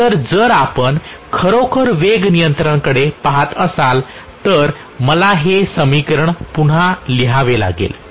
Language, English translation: Marathi, So if you are actually looking at the speed control, let me write this equation once again